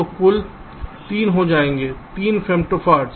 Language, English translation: Hindi, so this will also be three femto farad